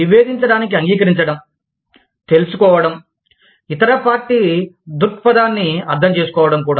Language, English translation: Telugu, Agreeing to disagree, knowing, understanding the other party's point of view, also